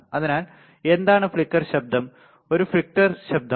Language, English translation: Malayalam, So, what is flicker noise, is a flicker noise